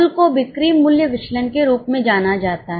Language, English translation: Hindi, The total one is known as sales value variance